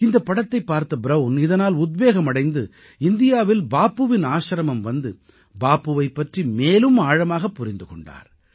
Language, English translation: Tamil, Brown got so inspired by watching this movie on Bapu that he visted Bapu's ashram in India, understood him and learnt about him in depth